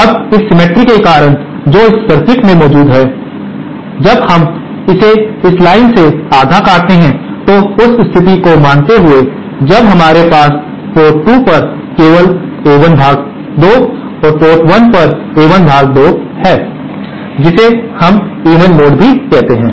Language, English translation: Hindi, Now, because of this cemetery that is present in this circuit, when we cut it half along this line assume the case when we have only A1 upon 2 at port 2 and A1 upon 2 at port 1, that we call is even mode